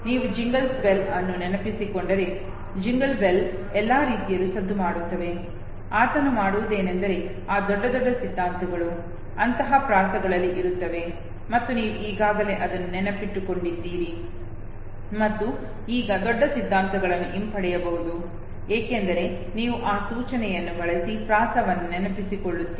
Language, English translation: Kannada, So if you remember jingle bells jingle bells jingle all the bell all he would do is, that big, big theories would be no put into such rhymes and you just recollect the rhyme because you already had memorized it and now big theories can be retrieved using those cues, okay